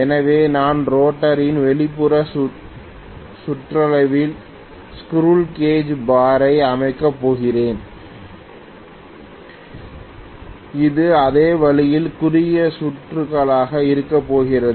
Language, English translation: Tamil, So I am going to have the squirrel cage bar arranged around the outer periphery of the rotor and it is going to be short circuited the same way